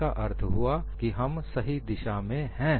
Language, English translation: Hindi, So, that means we are on right track